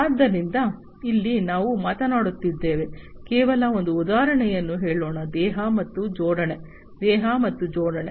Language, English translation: Kannada, So, here we are talking about, let us say just an example body and assembly, body and assembly